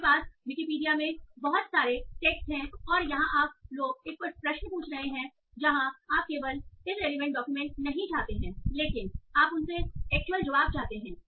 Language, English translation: Hindi, You have a lot of text in terms of Wikipedia and all and you just asking a query and you do not just want a relevant document but you want an actual answer from those